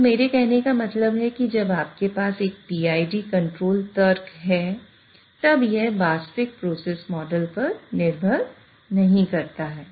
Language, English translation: Hindi, So what I mean by that is when you have a PID control logic, it does not depend on the actual process model